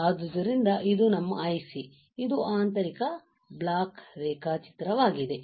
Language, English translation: Kannada, So, this is our IC this is a internal block diagram